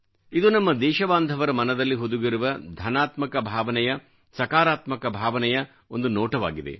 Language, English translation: Kannada, This is an exemplary glimpse of the feeling of positivity, innate to our countrymen